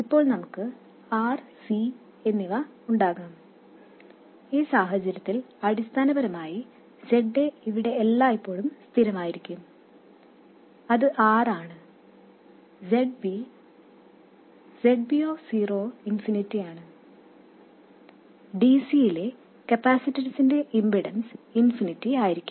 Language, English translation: Malayalam, So, in which case you see that basically ZA is always a constant here which is R and ZB of 0 is infinity, the impedance of a capacitor is infinity at DC